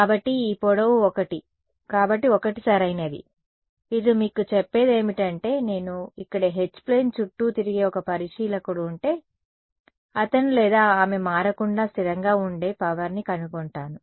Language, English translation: Telugu, So, this length is 1 so 1 right, what is it telling you that if I had an observer over here who went around the H plane, what would he or she find the power to be constant right not changing